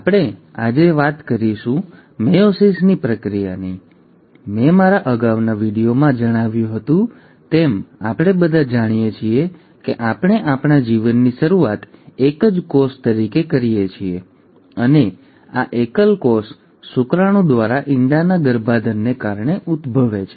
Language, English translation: Gujarati, Now today we are going to talk about the process of meiosis, and as I had mentioned in my previous video, we all know that we start our life as a single cell, and this single cell arises because of the fertilization of egg by a sperm